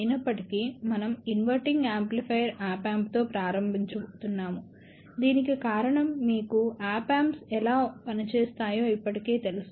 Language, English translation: Telugu, However, we are going to start with an inverting amplifier Op Amp, the reason for that is you are already familiar with how Op Amps work